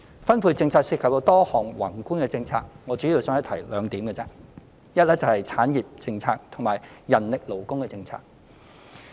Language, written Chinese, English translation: Cantonese, 分配政策涉及多項宏觀政策，我主要僅提出兩點，其一是產業政策，其二是人力勞工政策。, The distribution policy involves a number of macro policies and I will place my focus on two of them the first being the industrial policy while the second being the manpower and labour policy